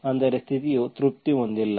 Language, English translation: Kannada, That means the condition is not satisfied